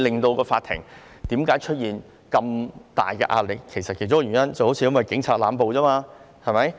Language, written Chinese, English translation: Cantonese, 況且，法庭出現這麼大壓力的其中一個原因，是警察濫捕。, Besides one of the reasons leading to the heavy caseloads of the court is the arbitrary arrests made by the Police